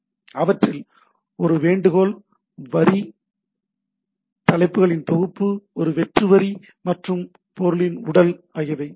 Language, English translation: Tamil, We have a Request line, a set of Headers, a blank line and the body of the thing